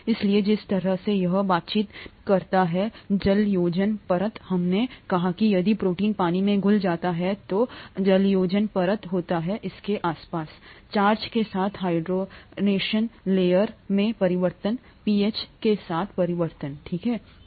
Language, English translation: Hindi, Therefore the way it interacts with the hydration layer; we said that if a protein is dissolved in water, there is a hydration layer around it; the interaction with that hydration layer changes with charge, changes with pH, okay